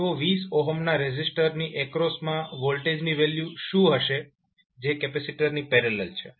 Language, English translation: Gujarati, So what will be the value of voltage across 20 ohm resistor which is in parallel with capacitor